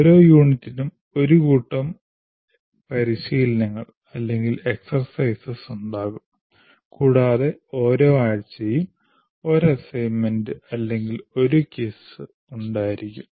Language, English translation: Malayalam, Each unit will have a set of exercises and each week will have an assignment or a quiz